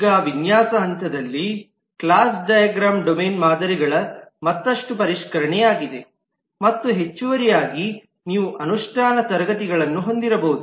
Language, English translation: Kannada, the class diagram is a further refinement of the domain models and in addition you may have implementation classes